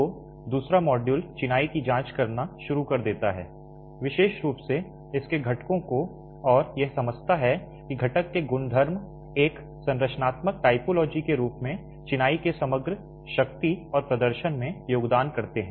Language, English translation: Hindi, So, the second module starts examining masonry, particularly its constituents and understands what properties of the constituents contribute to the overall strength and performance of masonry as a structural typology